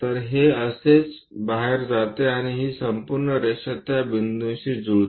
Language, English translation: Marathi, So, that one comes out like that and this entire line coincides to that point